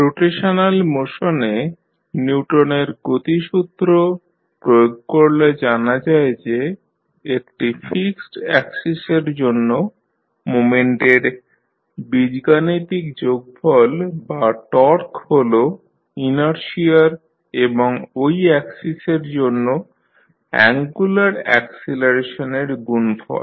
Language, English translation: Bengali, The extension of Newton’s law of motion for rotational motion states that the algebraic sum of moments or torque about a fixed axis is equal to the product of the inertia and the angular acceleration about the axis